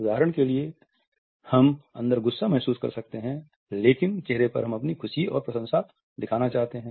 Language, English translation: Hindi, For example, we may feel angry inside, but on the face we want to show our pleasure and appreciation